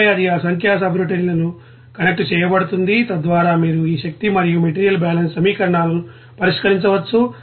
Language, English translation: Telugu, And then it will be connected to that numerical subroutines, so that you can solve this energy and material balance equations